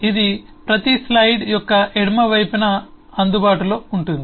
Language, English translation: Telugu, this will be available on the left of every slide